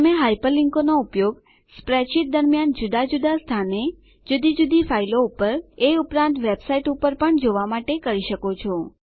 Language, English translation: Gujarati, You can use Hyperlinks to jump To a different location within a spreadsheet To different files or Even to web sites